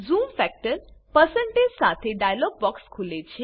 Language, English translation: Gujarati, A dialog box with zoom factor (%) opens